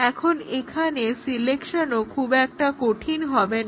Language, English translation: Bengali, Now, the selection is also not hard either here